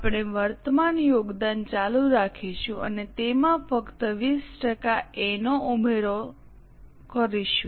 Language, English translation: Gujarati, We will continue the current contribution and to that add only 20% of A